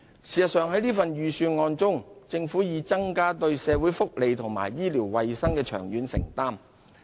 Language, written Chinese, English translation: Cantonese, 事實上，在這份預算案中，政府已增加對社會福利及醫療衞生的長遠承擔。, In fact in this Budget the Government has increased its long - term commitments to social welfare and health care